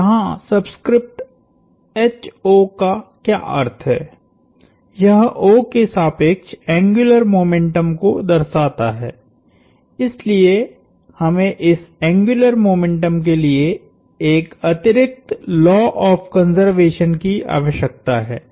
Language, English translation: Hindi, So, what the subscript here H sub O means, it denotes angular momentum about O, so we need an additional law of conservation for this angular momentum